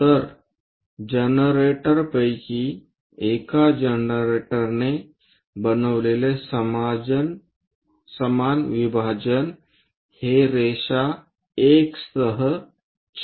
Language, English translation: Marathi, So, equal division made by one of the generator is this one intersecting with generator line 1